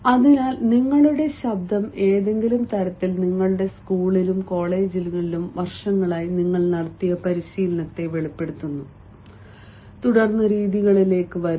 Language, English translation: Malayalam, so your voice, some way or the other, reveals the sort of training that you have, training over the years in your school and colleges, and training how to speak, how to respond